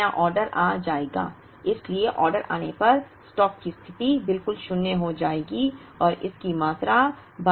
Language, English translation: Hindi, The new order will arrive so stock position will be zero exactly when the order arrives and its get replenished to 1250